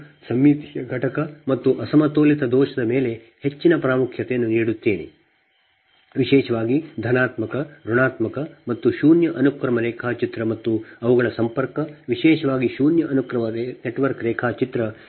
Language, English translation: Kannada, so that part i, i thought i give more importance on symmetrical component and unbalanced fault right, particularly that positive, negative and zero sequence diagram and their connection, particularly the zero sequence network diagram